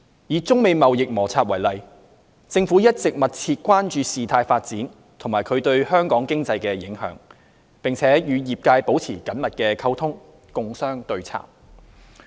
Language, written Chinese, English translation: Cantonese, 以中美貿易摩擦為例，政府一直密切關注事態發展及其對香港經濟的影響，並與業界保持緊密溝通，共商對策。, Take the China - United States trade conflicts as an example . The Government has been closely monitoring the developments of the trade conflicts and their impact on the Hong Kong economy maintaining close communication with the trade and discussing with them on how to respond